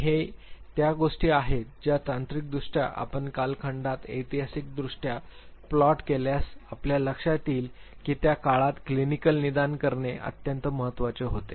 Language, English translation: Marathi, And these were the items which technically if you plot historically on the time line you would realize that they involved at the time when clinical diagnosis was extremely important